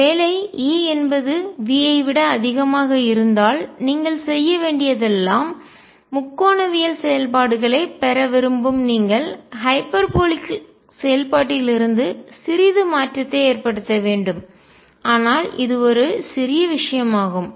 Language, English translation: Tamil, And we are taking the case where E is less than V if E is greater than V all you have to do is make a slight change from the hyperbolic function you want to get a trigonometric functions, but that is a trivial case